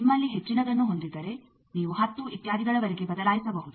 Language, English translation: Kannada, If you have more you can switch over to up to 10 etcetera